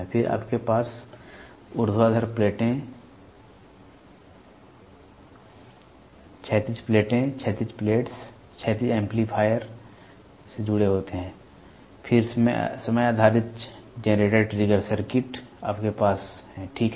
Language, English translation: Hindi, Then you have vertical plates, horizontal plates; horizontal plates are connected to horizontal amplifier, then time based generator trigger circuits you are have, ok